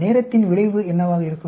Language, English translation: Tamil, What will be the effect of time